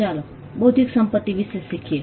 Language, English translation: Gujarati, Learning intellectual property